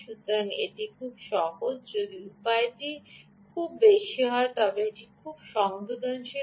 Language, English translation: Bengali, so it's very simple, right, if the way gain is very high, it's very sensitive